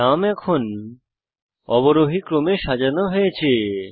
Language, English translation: Bengali, The names are now sorted in the descending order